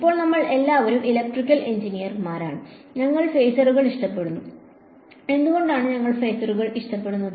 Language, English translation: Malayalam, Now, as it turns out we are all electrical engineers and we like phasors and why do we like phasors